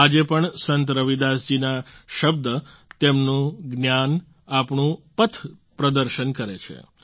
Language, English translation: Gujarati, Even today, the words, the knowledge of Sant Ravidas ji guide us on our path